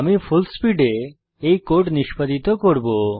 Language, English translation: Bengali, I will execute this code in Fullspeed